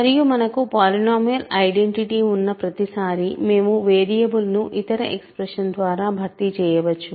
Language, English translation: Telugu, And every time you have a polynomial identity we can formally replace the variable by any other expression